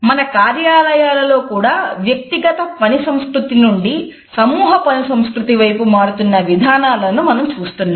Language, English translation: Telugu, In our offices we also see that now there is a shift from the individual work culture to a culture of group or team work